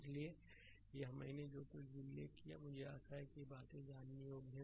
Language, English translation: Hindi, So, this whatever I have mentioned I hope this things are understandable to you know